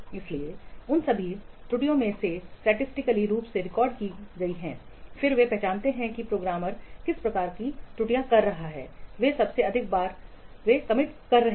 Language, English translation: Hindi, So out of all those errors, those are statistically recorded, then they identify which kind of errors, the programmers that are most frequently they are committing